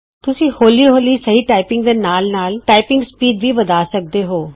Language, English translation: Punjabi, You can gradually increase your typing speed and along with it, your accuracy